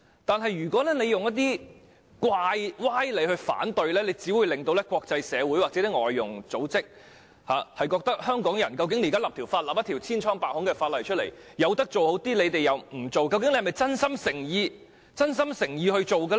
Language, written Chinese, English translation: Cantonese, 但如果大家以一些歪理提出反對，只會令國際社會或外傭組織認為香港現在進行的立法千瘡百孔，明明可以做好點卻不去做，究竟是否真心誠意去做這件事呢？, But if Members opposition is based on sophistry it will only make the international community or foreign domestic helper groups think that the current legislative exercise in Hong Kong is full of flaws and loopholes . We could have done better but we have not . Are we really sincere in doing it?